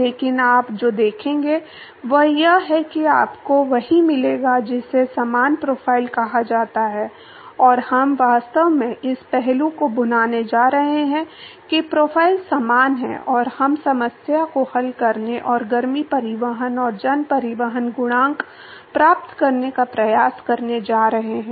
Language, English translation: Hindi, But what you will see is that you will get what is called as similar profile and we actually going to capitalize on this aspect that the profile is similar and we are going to attempt to solve the problem and get the heat transport and mass transport coefficient